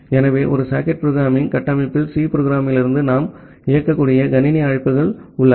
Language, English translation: Tamil, So, in a socket programming framework, we have a set of system calls that we can execute from the C program